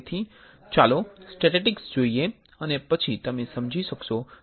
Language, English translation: Gujarati, So, let us see the statistics and then you will understand why I am saying it